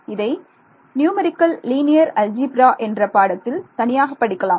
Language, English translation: Tamil, So, here is where this is actually this is in itself for separate course in numerical linear algebra